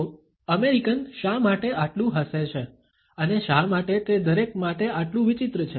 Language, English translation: Gujarati, So, why do American smile so much and why is that so strange to everyone else